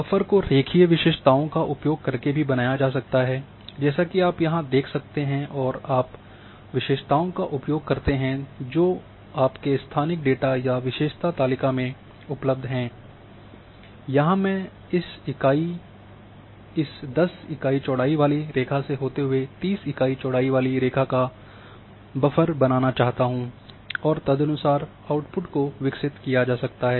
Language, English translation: Hindi, Buffer can also be created using attributes like here buffer lines and you use the attributes which is available in your spatial data or attribute table and you say that along these line I want you know the buffer of a 10 unit with along this line I want buffer of 30 units accordingly the output can be created